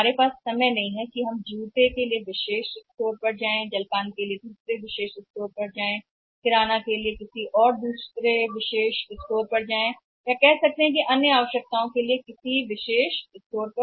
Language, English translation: Hindi, We do not have the time that for shoes we can go to exclusive store and for refreshments we can go to another exclusive store for the grocery we can go to another exclusive store or for the say other requirements pick and go to the exclusive store